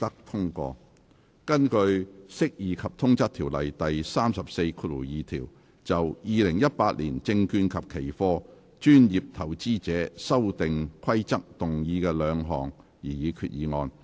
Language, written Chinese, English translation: Cantonese, 根據《釋義及通則條例》第342條，就《2018年證券及期貨規則》動議的兩項擬議決議案。, Two proposed resolutions under section 342 of the Interpretation and General Clauses Ordinance in relation to the Securities and Futures Amendment Rules 2018 the Rules